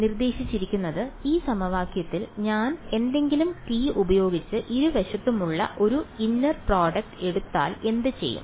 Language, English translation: Malayalam, So, what is being suggested is that, in this equation what if I take a inner product on both sides with t any t ok